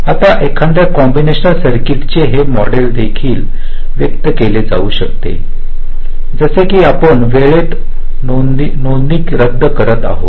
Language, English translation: Marathi, this model of a combination circuit can also be expressed as if you are un rolling it in time